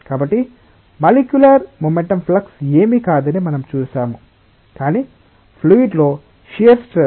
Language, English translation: Telugu, So, we have seen that the molecular momentum flux that is nothing, but the shear stress in a fluid